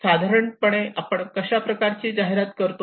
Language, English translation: Marathi, We generally ask people have this kind of advertisement